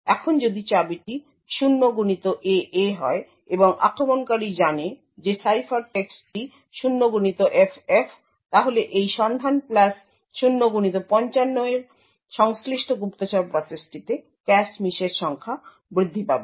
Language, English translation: Bengali, Now if the key is 0xAA and the attacker knows that the ciphertext is 0xFF, then corresponding to this lookup plus 0x55 the spy process would see an increased number of cache misses